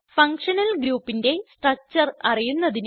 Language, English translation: Malayalam, * Know the structure of functional group